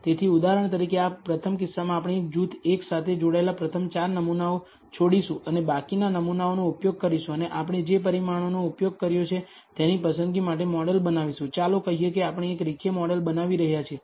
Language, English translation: Gujarati, So, for example, in this first case we will leave the first 4 samples that belonging to group one and use the remaining samples and build a model for whatever choice of the parameters we have used, let us say we are building a linear model